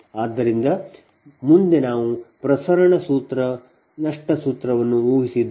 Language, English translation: Kannada, so next come to the transmission loss formula